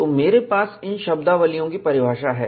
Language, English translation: Hindi, So, I have the definition of these terminologies